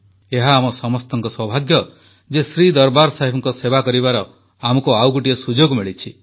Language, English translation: Odia, It is the good fortune of all of us that we got the opportunity to serve Shri Darbaar Sahib once more